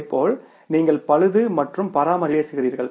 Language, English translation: Tamil, Similarly you talk about the repair and maintenance